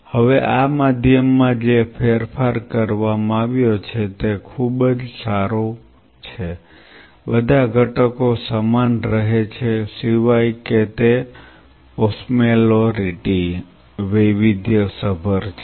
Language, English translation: Gujarati, Now, the modification what has been made in this medium is pretty much all the components remain the same except it is osmolarity has been varied